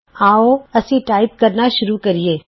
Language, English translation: Punjabi, Lets start typing